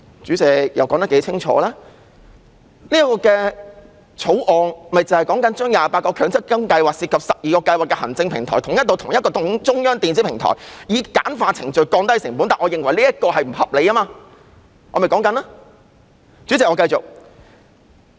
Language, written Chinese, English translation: Cantonese, 主席，《條例草案》訂明把28個強積金計劃涉及的12個計劃行政平台統一至同一個中央電子平台，以簡化程序，降低成本，但我認為這做法並不合理，而我正在陳述理由。, President the Bill puts 28 MPF schemes involving 12 scheme administration platforms under a centralized electronic platform to streamline procedures and reduce costs . However I think the approach is unreasonable and I am stating the reasons for that